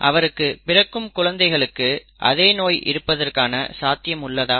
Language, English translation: Tamil, What are the chances that a child will be born with that disease